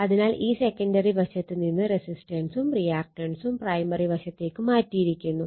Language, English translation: Malayalam, So, now this this side your what you call the secondary side a resistance and reactance the equivalent one transferred to the primary side, right